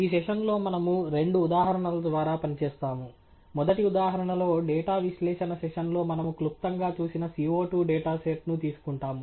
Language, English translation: Telugu, In this session, we will work through two examples; in the first example, we will take up the CO 2 data set that we briefly looked at in the data analysis session